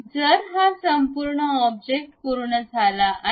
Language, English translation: Marathi, So, this entire object is done